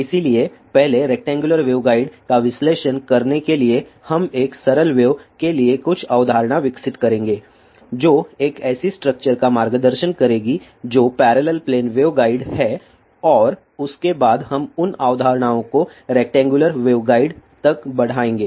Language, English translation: Hindi, So,to analyze rectangular waveguide first we will develop some concept for a simple wave guiding a structure that is parallel plane waveguide and after that we will extend those concepts to rectangular wave guide